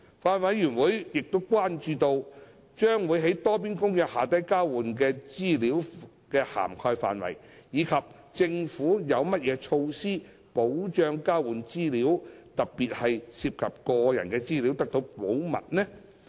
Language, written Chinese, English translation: Cantonese, 法案委員會關注到，將會在《多邊公約》下交換的資料的涵蓋範圍，以及政府有何措施保障交換的資料，特別是涉及個人的資料，得到保密。, The Bills Committee has expressed concerns about the scope of information to be exchanged under the Multilateral Convention and the measures to protect the confidentiality of information exchanged particularly when such information involved personal data